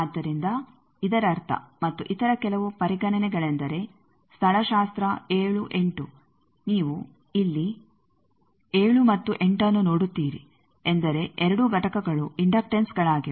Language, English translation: Kannada, So that means, and also some other considerations is that topology 7, 8 topology, you see here 7 and 8 means both that components are inductance